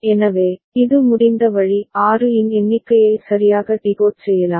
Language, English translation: Tamil, So, this is the way it can the count of 6 can be decoded right